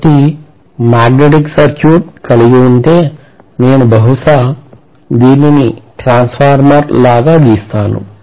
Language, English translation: Telugu, So if I am having a magnetic circuit somewhat like this, let me probably draw this like a transformer